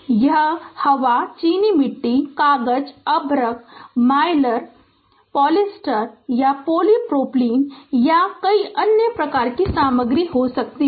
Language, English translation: Hindi, It can be air, ceramic, paper, mica, Mylar, polyester, or polypropylene, or a variety of other materials right